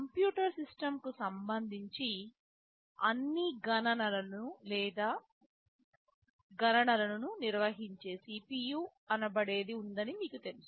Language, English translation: Telugu, With respect to a computer system, so you may know that there is something called CPU that carries out all computations or calculations